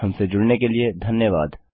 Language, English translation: Hindi, Thanks for joining us